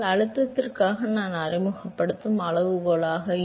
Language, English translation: Tamil, So, if that is the scaling that I introduce for pressure